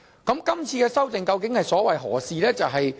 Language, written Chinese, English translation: Cantonese, 今次的修訂究竟所為何事？, Then what is the purpose of raising the amendments in question?